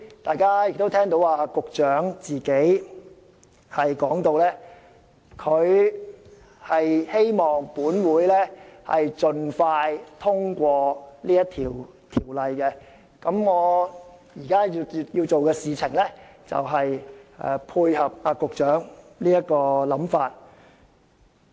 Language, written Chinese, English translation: Cantonese, "大家剛才亦聽到局長表示希望立法會盡快通過《條例草案》，我現在所做的正正配合局長的想法。, Just now Members could also hear the Secretary indicate his wish for the expeditious passage of the Bill in the Legislative Council . What I seek to do now is precisely to dovetail with the Secretarys thoughts